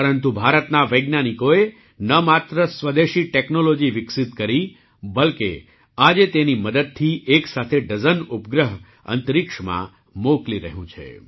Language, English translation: Gujarati, But the scientists of India not only developed indigenous technology, but today with the help of it, dozens of satellites are being sent to space simultaneously